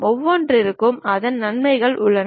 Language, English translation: Tamil, Each one has its own advantages